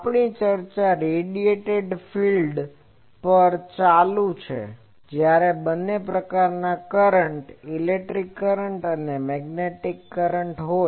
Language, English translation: Gujarati, We are continuing our discussion on the solution of by Radiated fields when both types of current, Electric currents and Magnetic currents are there